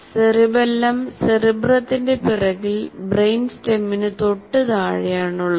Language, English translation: Malayalam, His two hemisphere structure located just below the rear part of the cerebrum right behind the brain stem